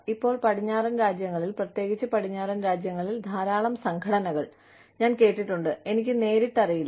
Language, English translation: Malayalam, Now, a lot of organizations in the west, particularly in the west, I have heard, I do not know, first hand